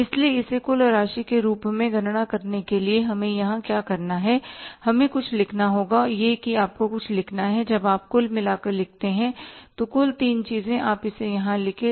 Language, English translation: Hindi, So for taking it as a total amount, what we have to do here is we have to write something and that what we would write here something is when you write in total, some total of the three things, you write here it as two COGS